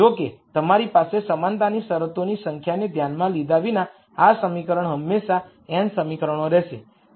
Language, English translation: Gujarati, However, this equation irrespective of the number of equality constraints you have will always be n equations